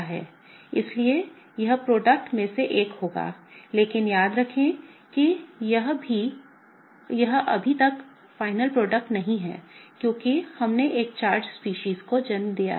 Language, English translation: Hindi, So, that will be one of the products, but remember this is not the final product yet because we have given rise to a charged species, okay